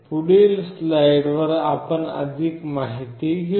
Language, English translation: Marathi, We will be looking into more details in next slide